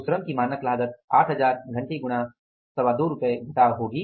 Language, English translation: Hindi, So, standard cost of labor will be 8,000 hours into 2